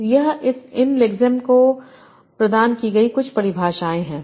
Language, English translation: Hindi, So these are some definitions provided to these lexemes